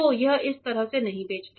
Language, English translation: Hindi, So, it does not escape this side